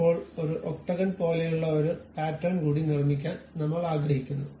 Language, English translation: Malayalam, Now, I would like to make one more pattern like maybe an octagon I would like to construct here a small one